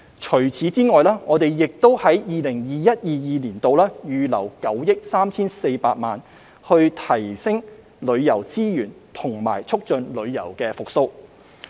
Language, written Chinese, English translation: Cantonese, 此外，我們亦在 2021-2022 年度預留了9億 3,400 萬元提升旅遊資源和促進旅遊復蘇。, In addition we have set aside 934 million in 2021 - 2022 to enhance tourism resources and promote tourism recovery